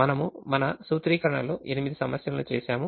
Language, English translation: Telugu, we did eight problems in our formulation